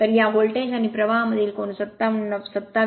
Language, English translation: Marathi, So, angle between these voltage and current is 27